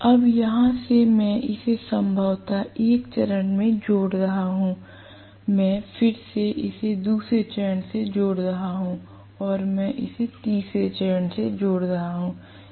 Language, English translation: Hindi, Now, from here I am connecting this probably to one of the phases, I am again connecting this to another phase and I am connecting it to the third phase right